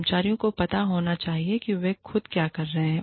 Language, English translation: Hindi, The employees must know, what they are getting themselves, into